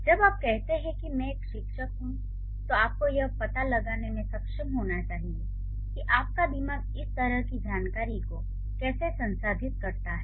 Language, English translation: Hindi, So, when you say I am a teacher, so you should be able to find out how your brain processes such kind of information